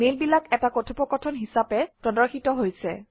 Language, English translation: Assamese, The mails are displayed as a conversation